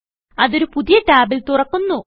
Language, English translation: Malayalam, It opens in a new tab